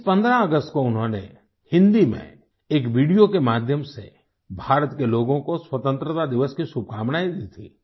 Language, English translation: Hindi, On this 15th August, through a video in Hindi, he greeted the people of India on Independence Day